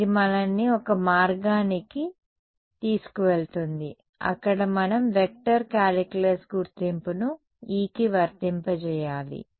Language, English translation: Telugu, So, this is taking us to one route where possibly we will have to apply the vector calculus identity to E itself